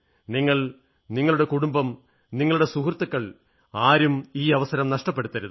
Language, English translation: Malayalam, You, your family, your friends, your friend circle, your companions, should not miss the opportunity